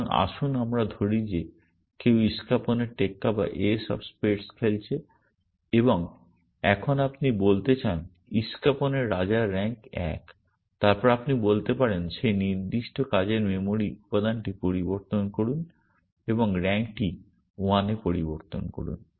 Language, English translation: Bengali, So, let us say somebody has played the ace of spades and now you want to say king of spades has rank 1 then you could say modify that particular working memory element and change the rand to value 1 that is all